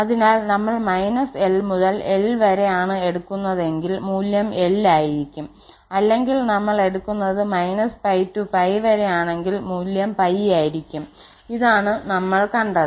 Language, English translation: Malayalam, So, if we are talking about minus l to l so the value will be l or we are talking about minus pi to pi the value will be pi, this is what we have seen